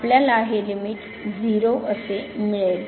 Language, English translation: Marathi, So, we have limit goes to 0